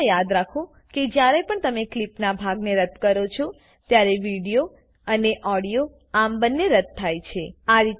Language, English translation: Gujarati, Always remember that whenever you delete a portion of a clip both the video as well as the audio gets deleted